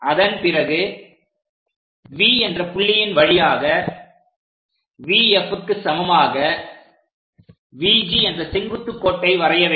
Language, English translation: Tamil, Once that is done, we draw a perpendicular VG is equal to VF passing through V point